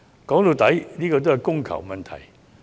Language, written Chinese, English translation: Cantonese, 說到底，這只是供求的問題。, This is after all a question of demand and supply